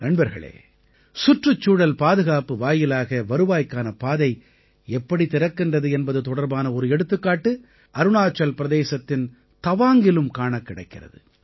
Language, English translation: Tamil, an example of how protection of environment can open avenues of income was seen in Tawang in Arunachal Pradesh too